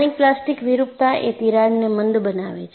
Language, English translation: Gujarati, The local plastic deformation will make the crack blunt